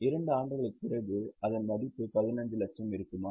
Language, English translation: Tamil, After two years, will it have a value of 15 lakhs